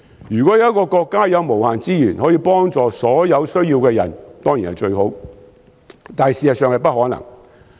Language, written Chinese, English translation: Cantonese, 如果有一個國家有無限資源，可以幫助所有有需要的人當然最好，但現實上是不可能。, If there was a country with unlimited resources to help all those in need it would certainly be ideal but in reality this is impossible